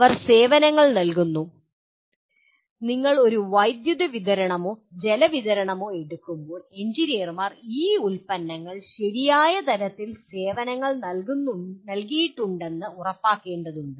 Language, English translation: Malayalam, They provide services on for example you take a electric supply or water supply, the engineers will have to make sure right kind of services are provided on these products